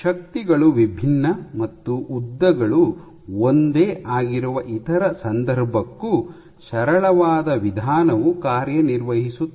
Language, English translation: Kannada, So, the simplest approach will even work for the other case where you are forces; if forces are different and lengths are same